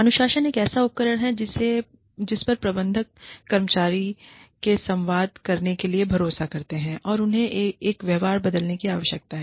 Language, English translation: Hindi, Discipline is a tool, that managers rely on, to communicate to employees, that they need, to change a behavior